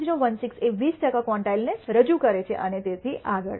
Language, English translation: Gujarati, 1016 represents to 20 percent quantile and so on, so forth